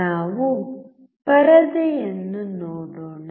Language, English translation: Kannada, Let us see the screen